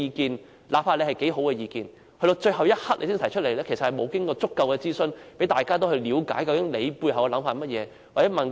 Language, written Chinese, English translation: Cantonese, 即使他的意見有多好，但到了最後一刻才提出，其實並無經過足夠諮詢，讓大家了解他背後的想法。, No matter how good his view is since he did not raise it until the very last moment it actually did not go through sufficient consultation to let us understand the ideas behind his proposal